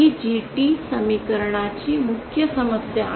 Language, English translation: Marathi, That is the main problem of this GT expression